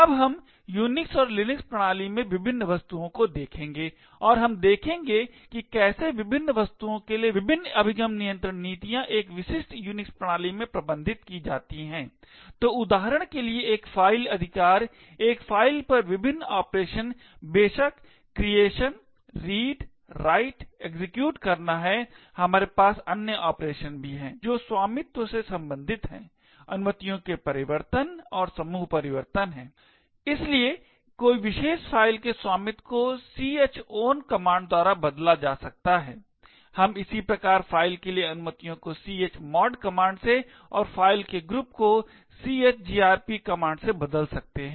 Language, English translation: Hindi, Now we will look at the various objects in the Unix and Linux system and we will see about how the various access control policies for the various objects are managed in a typical Unix system, so for example a file rights, the various operations on a file are of course the creation, read, write, execute, we also have other operations which relate to ownership, change of permissions and change group, so one could change the ownership of a particular file by the chown command, we can similarly change the permissions for a file with a chmod command and change group of a file with chgrp command